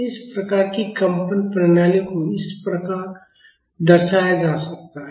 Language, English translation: Hindi, These types of vibrating systems can be represented like this